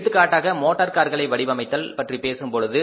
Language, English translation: Tamil, Now for example, you talk about designing of cars